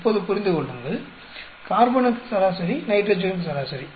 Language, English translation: Tamil, Now understand, average for carbon, average for nitrogen